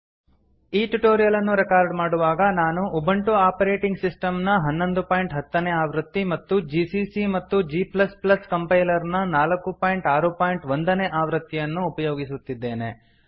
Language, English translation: Kannada, To record this tutorial, I am using, Ubuntu operating system version 11.10 gcc and g++ Compiler version 4.6.1 on Ubuntu